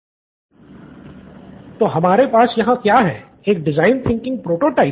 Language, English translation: Hindi, So what have we here design thinking prototype